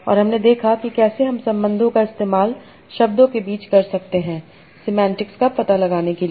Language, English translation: Hindi, And we saw that how we can use connection between words to find out semantics